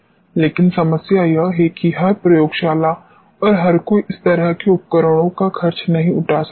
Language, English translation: Hindi, But the problem is that every laboratory and everyone cannot afford such instruments